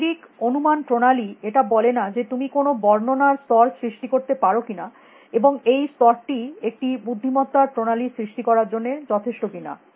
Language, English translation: Bengali, And this is not the physical system hypothesis says that if you can create a level of representation and is it not that level that should be enough for creating intelligence systems